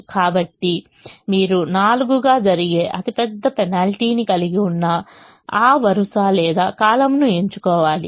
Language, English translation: Telugu, so you choose that row or column that has the largest penalty, which happens to be four